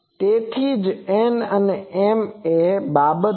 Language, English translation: Gujarati, So, that is why n and m are thing